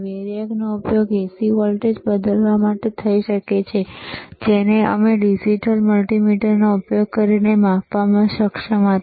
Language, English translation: Gujarati, Variac can be used to change the AC voltage, which we were able to measure using the digital multimeter